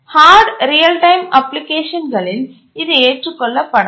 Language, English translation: Tamil, And this becomes unacceptable in hard real time applications